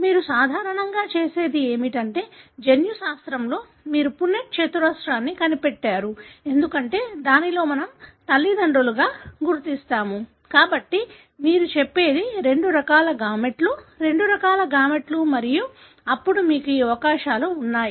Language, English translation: Telugu, So, what you normally do is, in genetics you put the punnett square because these are the parents; so you say, two types of gametes, two types of gametes and then you have these possibilities